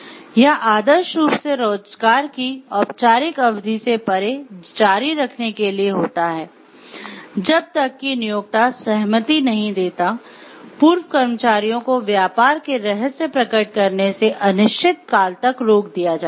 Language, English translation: Hindi, It is ideally supposed to continue beyond the formal period of employment, unless the employer gives a consent a former employees are barred of indefinitely from revealing trade secrets